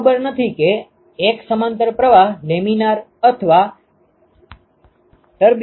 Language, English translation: Gujarati, I do not know which one is parallel flow laminar or turbulent ok